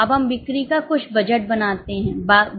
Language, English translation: Hindi, Now, we make some budget of sales